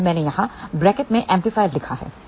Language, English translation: Hindi, So, I have written here in the bracket amplifier